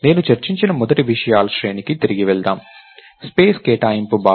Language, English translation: Telugu, So, lets go back to the very first set of things that I talked about, the notion of allocation of space